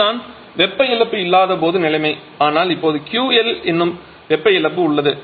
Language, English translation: Tamil, This is the situation when there is no heat loss but now we have a heat loss which is Q L